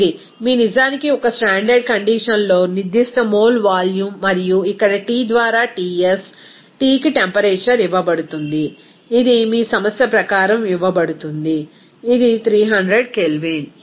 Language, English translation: Telugu, This is your actually at a standard condition the specific mala volume and here T by Ts, T is given temperature it is given as per your problem, it is 300 Kelvin